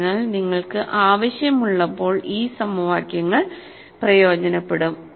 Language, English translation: Malayalam, So, these equations will come in handy when you need them, thank you